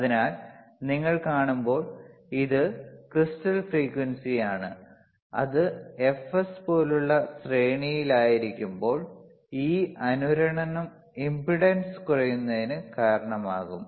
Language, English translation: Malayalam, So, here when you see, this is a crystal frequency, when it is in series like ffs, and also this is resonance will cause the impedance to decrease